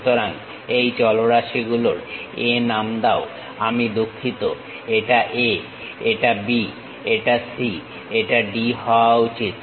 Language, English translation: Bengali, So, name these variables A I am sorry this is supposed to be A, this is B, this is C and this is D